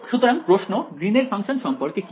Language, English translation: Bengali, So, the question about what about Green’s function